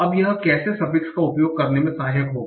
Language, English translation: Hindi, Now how will will that be helpful using the suffix